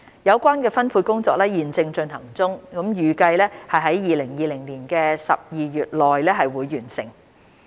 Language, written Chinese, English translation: Cantonese, 有關分配工作正在進行中，預計在2020年12月內完成。, The allocation exercise is currently under way and is expected to be completed in December 2020